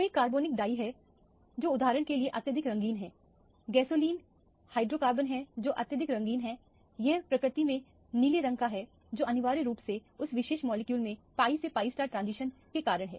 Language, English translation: Hindi, There are several organic dyes which are highly colored for example, gasoline is the hydrocarbon which is highly colored it is blue colored in nature that is essentially because of the pi to pi star transition in that particular molecule